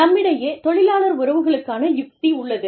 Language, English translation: Tamil, We have labor relations strategy